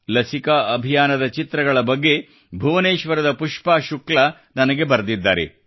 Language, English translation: Kannada, Pushpa Shukla ji from Bhubaneshwar has written to me about photographs of the vaccination programme